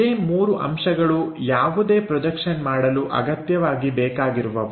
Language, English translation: Kannada, These are the three things what we require for any projection